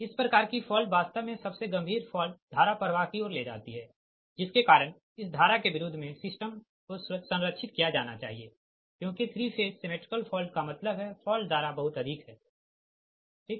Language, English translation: Hindi, this type of fault actually gene leads to most severe fault current flow against which the system must be protected, because three phase symmetrical fault means the fault current will be too high, right